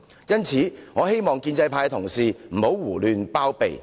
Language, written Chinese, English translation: Cantonese, 因此，我希望建制派同事不要胡亂包庇。, Therefore I hope that colleagues of the pro - establishment camp will not shield her indiscriminately